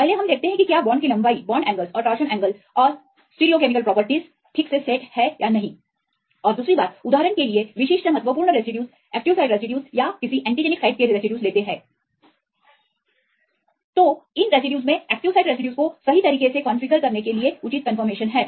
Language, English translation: Hindi, first we see whether the bond lengths, bond angles and torsion angles right all these stereochemical properties they are properly set or not and the second one whether the specific important residues for example, active site residues or any antigenic site residues